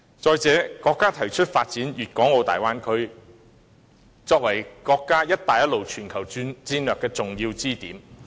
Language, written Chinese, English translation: Cantonese, 再者，國家提出發展粵港澳大灣區，作為國家"一帶一路"全球戰略的重要支點。, Moreover our country proposes the development of the Guangdong - Hong Kong - Macao Bay Area as an important pivot point for the Belt and Road global strategy